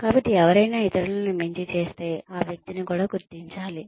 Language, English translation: Telugu, So, if somebody outperforms others, then that person should be recognized also